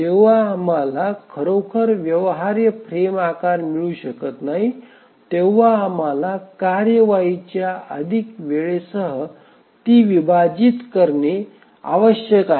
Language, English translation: Marathi, So, whenever we cannot really get any feasible frame size, we need to split the tasks with longer execution times